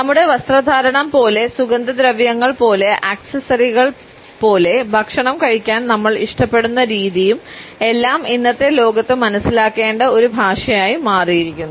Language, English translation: Malayalam, Like our dress like the smells we wear, like the accessories we carry along with our body, the way we prefer our food to be eaten etcetera also has become a language which is important to understand in today’s world